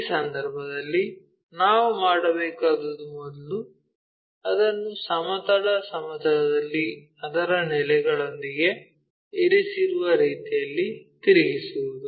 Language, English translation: Kannada, If that is the case what we have to do is first rotate it in such a way that is resting on horizontal plane with its base